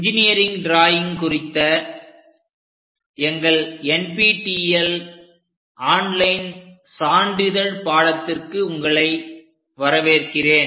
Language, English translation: Tamil, Hello everyone, welcome to our NPTEL online certification courses on engineering drawing